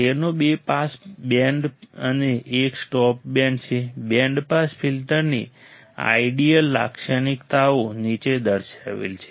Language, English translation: Gujarati, It has two pass bands and one stop band the ideal characteristics of band pass filter are shown below